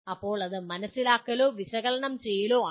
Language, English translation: Malayalam, Then it will come under understand or analysis